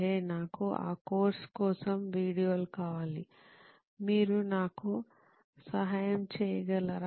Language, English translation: Telugu, Hey, I need videos for that course, can you help me with that